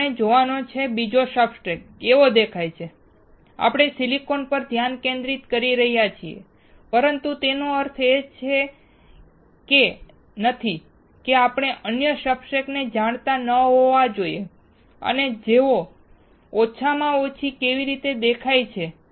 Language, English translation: Gujarati, Now, we have to see how the other substrate looks like, we are focusing on silicon, but that does not mean that we should not know the other substrates and how they look like at least